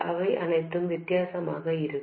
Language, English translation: Tamil, These will all be different